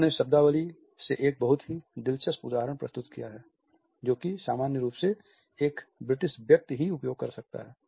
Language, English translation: Hindi, He has quoted a very interesting example from the vocabulary which a British person can normally use